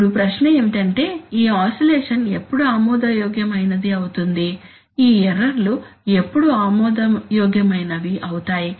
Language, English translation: Telugu, Now the question is that when is this oscillation acceptable, this, these errors when are they acceptable